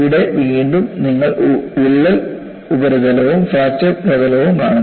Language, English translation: Malayalam, Here again, you see the crack surface and fracture surface